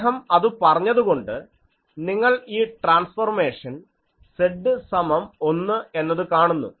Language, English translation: Malayalam, So, now he said since you see this transformation this Z is this so, Z magnitude of Z is equal to 1